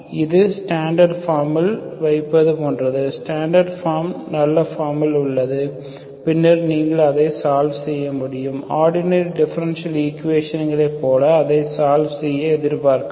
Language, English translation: Tamil, This is like putting in the standard form, so the standard form is in nice form, then you can solve it, you can expect to solve it like ordinary differential equations